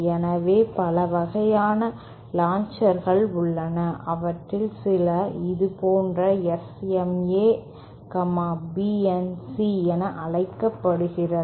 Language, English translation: Tamil, So, there are several type of launchers, some of them are called SMA, BNC like this